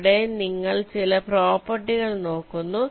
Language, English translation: Malayalam, here you look at some of the properties